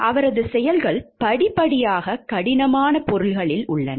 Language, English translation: Tamil, His acts step by step are in a hard substance